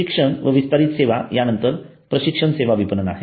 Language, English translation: Marathi, education and extension services then there are training services marketing